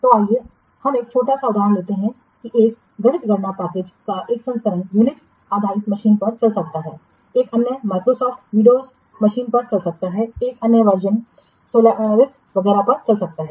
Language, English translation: Hindi, So, let's take a small example that one variant of a mathematical computation package might run on Unix based machines, another may run on Microsoft Windows machines, another variant may run on Sun Solaris etc